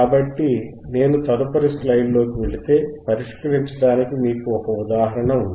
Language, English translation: Telugu, So, if I go on the next slide, then you have an example to solve